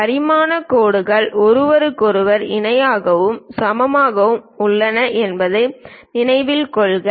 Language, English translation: Tamil, Note that the dimension lines are parallel to each other and equally spaced